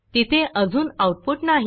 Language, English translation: Marathi, There is no output yet